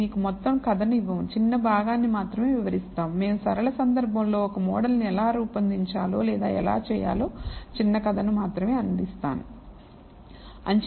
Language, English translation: Telugu, What we are going to describe only a small part we are not giving you the entire story, we are only providing a short story on how to formulate or t a model for a linear case